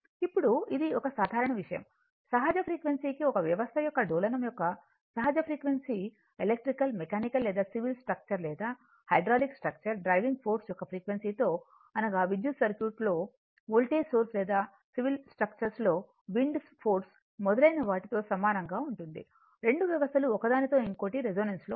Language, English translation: Telugu, Now, this is one general thing, whenever the natural frequency whenever the natural frequency of oscillation of a system could be electrical, mechanical or a civil structure or a hydraulic right coincides with the frequency of the driving force a voltage source in an electric circuit or a wind force in civil structure etc, the 2 system resonant with respect to each other right